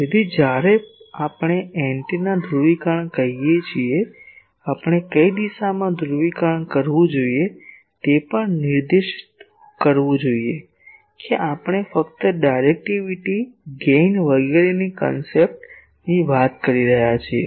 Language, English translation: Gujarati, So, when we say polarisation of an antenna; we should also specify in which direction polarisation we are talking just the concept of directivity, gain etc